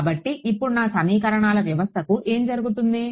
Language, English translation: Telugu, So, what happens to my system of equations now